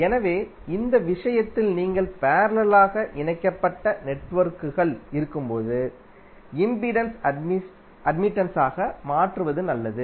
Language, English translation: Tamil, So in this case when you have parallel connected networks, it is better to convert impedance into admittance